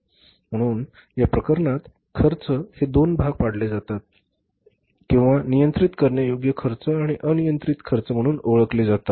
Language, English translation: Marathi, So, in this case the costs are bifurcated or known as controllable cost and uncontrollable cost